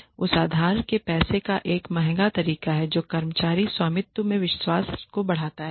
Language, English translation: Hindi, It is an expensive way of borrowing money it enhances the belief in employee ownership